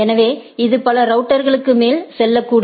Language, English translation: Tamil, So, and it may go on over several routers right